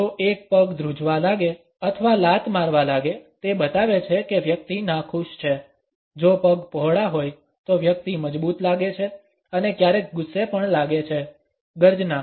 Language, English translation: Gujarati, If one foot starts twitching or kicking; it shows the person is unhappy, if the feet are set wide apart the person is feeling strong and sometimes also angry; roar